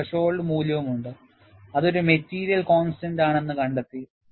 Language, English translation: Malayalam, And there is a threshold value, which is found to be a material constant